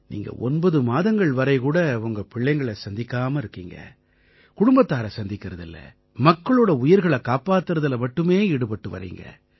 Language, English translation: Tamil, For nine odd months, you are not meeting your children and family, just to ensure that people's lives are saved